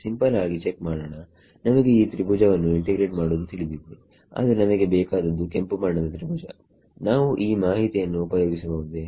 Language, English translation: Kannada, Simple check we know how to integrate this triangle, but what we want is this red triangle can we make use of this information somehow